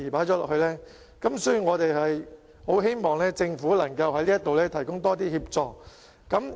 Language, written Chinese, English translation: Cantonese, 因此，我們很希望政府在這方面能夠提供更多協助。, Therefore we very much hope that the Government can provide more assistance in this respect